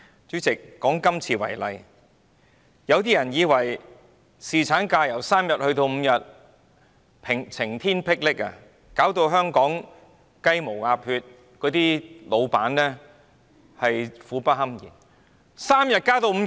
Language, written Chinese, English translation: Cantonese, 主席，以今次為例，有些人對於侍產假日數由3天增至5天，感到晴天霹靂，認為這會令香港"雞毛鴨血"，老闆苦不堪言。, President take this legislative proposal as an example . Some people find the proposed increase of paternity leave from three days to five days astounding . They say that the increase will put Hong Kong and the employers in a miserable state